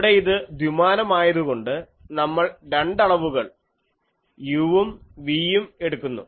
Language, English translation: Malayalam, So, here since it is two dimensional, we will introduce the two quantities u and v